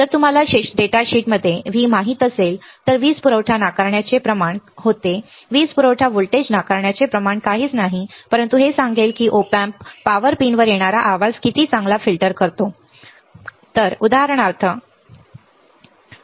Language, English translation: Marathi, If you know V in the datasheet there was a power supply rejection ratio the power supply voltage rejection ratio is nothing, but it will tell how about how well the Op amp filters out the noise coming to the power pins right, there is a noise generated in the power pins also